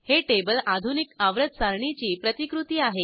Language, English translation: Marathi, This table is a replica of Modern Periodic table